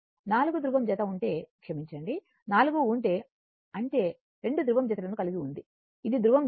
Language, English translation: Telugu, If you have 4 pole pair sorry, if you have 4 poles; that means, you have 2 poles pairs, this is pole pairs right